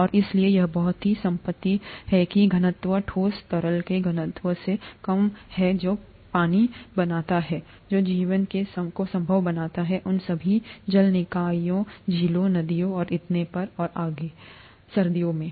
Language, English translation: Hindi, And so this very property that the density of the solid is less than the density of liquid is what makes water, what makes life possible in all those water bodies, lakes, rivers and so on and so forth, in winter